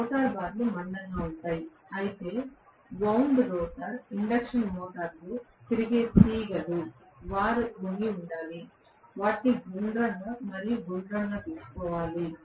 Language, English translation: Telugu, Rotor bars are thick, whereas the wires that are going around in the wound rotor induction motor; they have to bend, they have to be taken round and round